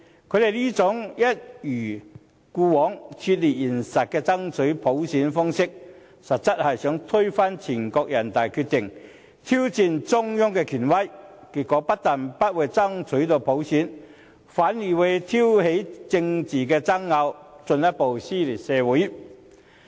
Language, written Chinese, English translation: Cantonese, 他們這種一貫脫離現實的爭取普選的要求，其實是想推翻人大常委會的決定，挑戰中央的權威，結果不但不能成功爭取到普選，反而挑起政治爭拗，進一步撕裂社會。, They have been taking such an unrealistic approach to demand for universal suffrage which is intended for overturning NPCSCs decision so as to challenge the authority of the Central Government . They just failed to win universal suffrage in the end and provoked political disputes instead tearing our society further apart